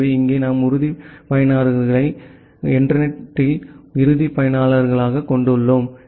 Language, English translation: Tamil, So, here we have the end users the end users in the internet